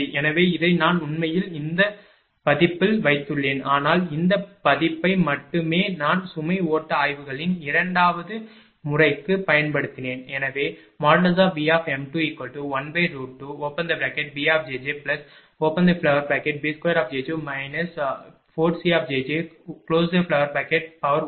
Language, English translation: Tamil, Therefore, this actually I have put it in this version, but only this version I have used for the second method of the load flow studies